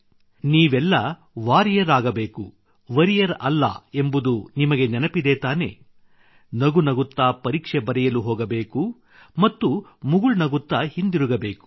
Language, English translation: Kannada, Do all of you remember You have to become a warrior not a worrier, go gleefully for the examination and come back with a smile